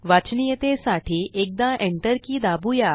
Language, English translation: Marathi, For readability we will press the Enter key once